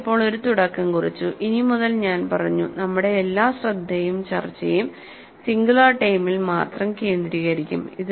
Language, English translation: Malayalam, We have just made a beginning and I said, from now onwards, all our attention and discussion would focus only with the singular term